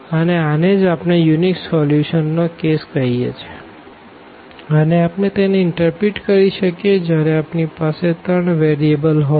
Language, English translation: Gujarati, And, this is what we call the case of unique solution that we can also interpret when we have the 3 variables